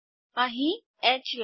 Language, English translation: Gujarati, H line here